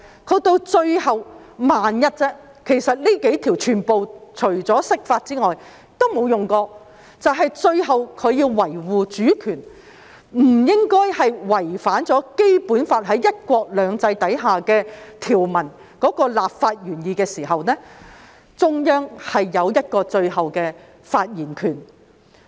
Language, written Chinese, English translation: Cantonese, 到了最後——只是萬一，其實這幾項條文除釋法外，也沒有用過——只是在要維護主權，不應該違反《基本法》在"一國兩制"下條文的立法原意時，中央有最後的發言權。, In the end―just in case and these provisions have not been invoked apart from their interpretation―for the sake of upholding sovereignty and not in violation of the legislative intent of the Basic Law under one country two systems the Central Authorities have the final say